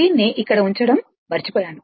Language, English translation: Telugu, I forgot to put it here